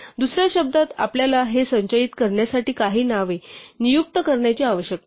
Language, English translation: Marathi, So, in other words we need to assign some names to store these